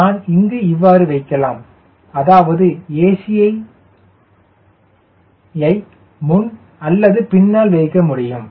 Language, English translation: Tamil, i put it something like this: but ac is the head or ac is behind